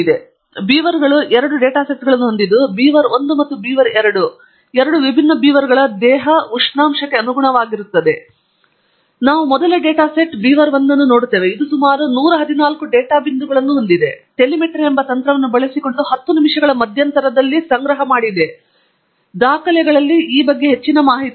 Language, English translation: Kannada, So, these Beavers has two data sets in it, beaver1 and beaver2 corresponding to the body temperature of two different beavers, and we look at the first data set the beaver1; it has about 114 data points in it, collected at 10 minute intervals using a technique called telemetry and there is more information on this in the documentation